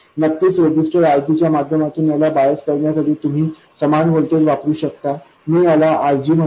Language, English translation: Marathi, You could use the same bias voltage to bias this through a resistor RG of course, I will call it RG2